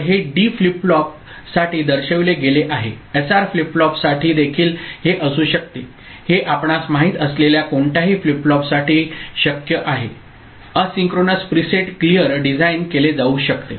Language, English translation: Marathi, So, this has been shown for D flip flop it could be for SR flip flop also it could be possible for any flip flop this kind of you know, asynchronous preset clear can be designed